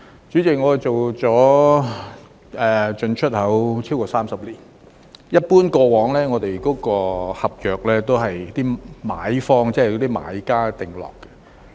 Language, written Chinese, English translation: Cantonese, 主席，我從事進出口超過30年，過往我們的合約一般也是由買方、買家訂立。, President I have been in the import and export business for over 30 years . In the past our contracts were generally drawn up by the buyers that is the purchasers